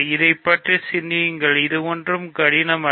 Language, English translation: Tamil, So, think about this, it is not difficult at all